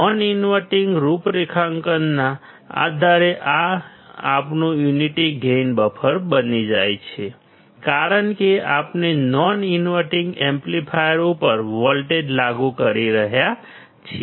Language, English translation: Gujarati, This becomes our unity gain buffer based on non inverting configuration because we are applying voltage to the non inverting amplifier